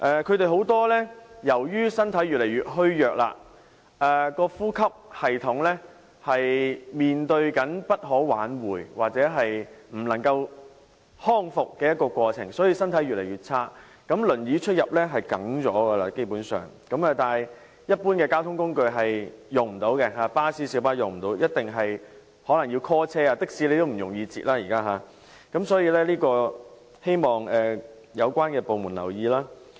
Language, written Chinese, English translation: Cantonese, 他們很多人由於身體越來越虛弱，呼吸系統正面對着不可挽回或不能康復的情況，身體狀況越來越差，輪椅出入基本上是少不免，但未能使用一般交通工具，例如巴士和小巴，所以一定要電召車輛，現時也難以在街上搭的士，所以希望有關部門留意。, Many of them have turned weaker and weaker and their respiratory systems are plagued by irreversible or irrecoverable conditions . Due to deteriorating physical conditions the use of wheelchairs for access to various places has become basically inevitable . But they are unable to use ordinary modes of transport such as buses and minibuses so they must rely on on - call transport services